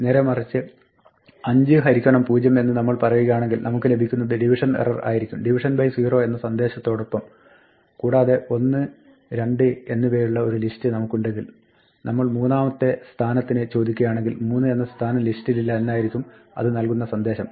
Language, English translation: Malayalam, On the other hand, if we say is equal to 5 divided by 0 then we get a 0 division error and along with the message division by 0 and finally, if we have a list say 1, 2 and then we ask for the position three then it will say that there is no position three in this list